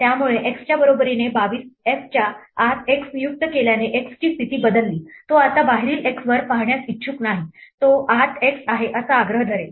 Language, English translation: Marathi, So, somehow assigning x equal to 22 inside f changed the status of x, it is no longer willing to look up the outside x it will insist that there is an inside x